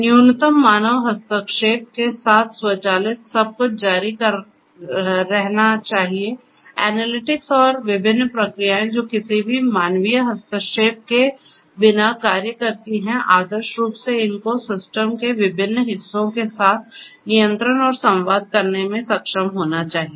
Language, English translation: Hindi, Automatic with minimum human intervention everything should continue, the analytics and the different processes that get executed without any human intervention ideally should be able to control and communicate with the different parts of the system